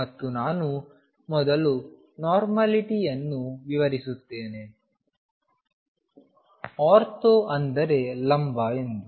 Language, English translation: Kannada, And let me explain normality is the property that we in first ortho means perpendicular